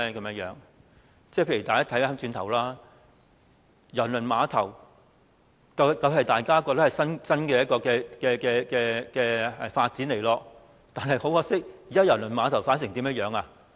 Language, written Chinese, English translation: Cantonese, 例如當年的郵輪碼頭方案，大家也認為是一種新發展，但很可惜，現時郵輪碼頭的發展是怎樣的呢？, Take the Cruise Terminal proposal as an example . Everyone thought that it was a kind of new development back then . But unfortunately how is the current development of the Cruise Terminal?